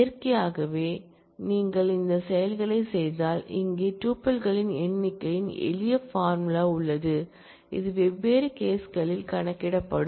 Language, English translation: Tamil, And naturally if you do these operations then, here is the simple formula of the number of tuples, that will get computed in different cases